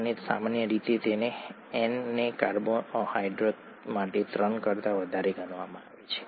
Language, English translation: Gujarati, And usually N is taken to be greater than three for a carbohydrate